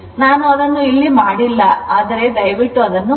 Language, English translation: Kannada, So, I am not doing it here, but please do it